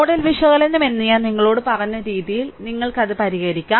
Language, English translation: Malayalam, So, the way the way I have told you that nodal analysis, may you please solve it